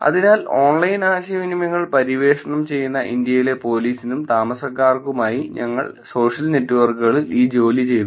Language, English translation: Malayalam, So, we did this work on social networks for police and residents in India exploring online communications